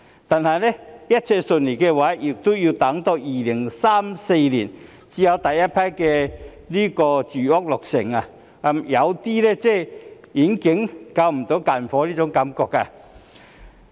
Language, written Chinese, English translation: Cantonese, 但是，如果一切順利也要到2034年才有第一批住屋落成，有種遠水不能救近火的感覺。, However if everything goes smoothly the first batch of residential units will only be completed in 2034 . This created an impression that the project cannot provide a solution to the imminent problems